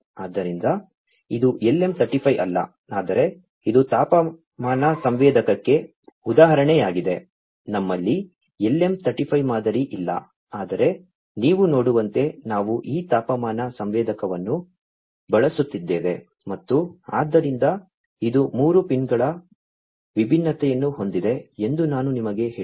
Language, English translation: Kannada, So, this is an example of a temperature sensor not the LM 35, we do not have the LM 35 model, but this is the one we are using this temperature sensor as you can see and so, I told you that it has three different pins, right